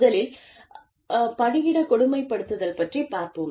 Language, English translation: Tamil, How do you manage, workplace bullying